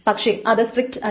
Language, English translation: Malayalam, So this is not strict